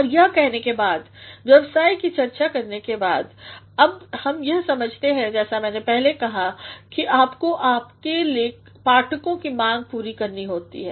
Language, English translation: Hindi, And having said that, having talked about the arrangement, now let us realize as I said earlier that you have to cater to your readers